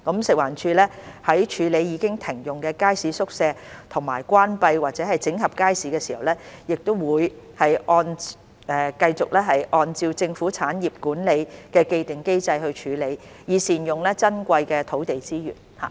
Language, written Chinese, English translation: Cantonese, 食環署在處理已停用的街市宿舍和關閉或整合街市時，會繼續按照政府產業管理的既定機制處理，以善用珍貴的土地資源。, To optimize the use of our precious land resources FEHD will continue to follow the established mechanism on management of government properties in handling disused market quarters and upon closure or consolidation of markets